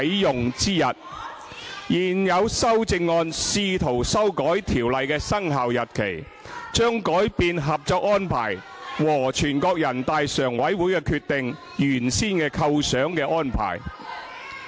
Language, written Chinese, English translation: Cantonese, 現有修正案試圖修改條例的生效日期，將改變《合作安排》和全國人大常委會的《決定》原先構想的安排。, Attempting to amend the commencement date of the Ordinance the current amendments will in effect alter the nature of the arrangement envisaged in the Co - operation Arrangement and the Decision of the Standing Committee of the National Peoples Congress NPCSC